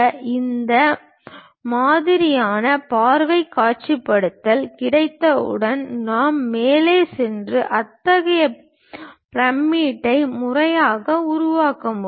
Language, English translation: Tamil, Once we have that kind of view visualization we can go ahead and systematically construct such pyramid